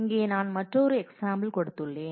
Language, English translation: Tamil, Here I have given another example